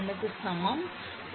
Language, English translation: Tamil, 1 actually 0